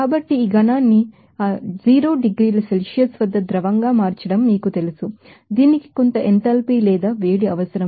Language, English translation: Telugu, So, these you know converting this solid to liquid at that 0 degree Celsius it would be you know requiring some enthalpy or heat